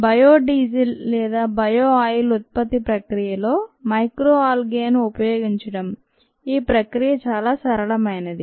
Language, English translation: Telugu, coming back to the process of ah, bio diesel or bio oil production using ah micro algae, the process is rather simple